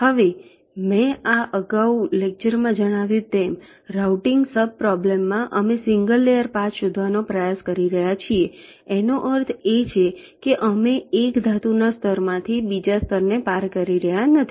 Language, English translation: Gujarati, now, in this routing sub problem, as i mentioned earlier, we are trying to find out a single layer path that means we are not crossing from one metal layer to the other